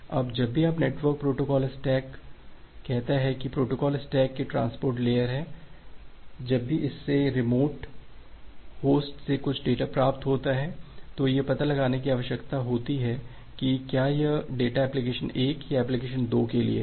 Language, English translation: Hindi, Now whenever your network protocol stacks say this is a transport layer of protocol stack, whenever it receives some data from a remote host it need to find out whether that particular data is for application 1 or application 2